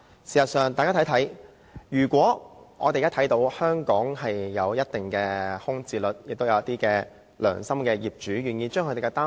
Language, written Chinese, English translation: Cantonese, 事實上，我們現在看到香港房屋有一定的空置率，亦有"良心業主"願意騰出單位。, In fact we notice a certain percentage of housing vacancy rate in Hong Kong and conscientious property owners are willing to offer their flats for the cause